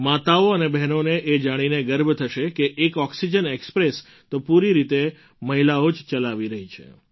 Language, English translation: Gujarati, Mothers and sisters would be proud to hear that one oxygen express is being run fully by women